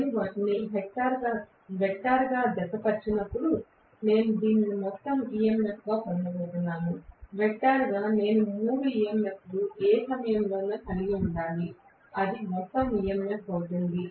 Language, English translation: Telugu, When I add them vectorially I am going to get this as the total EMF right, vectorially I have to had all the three EMF at any instant of time, that will be the total EMF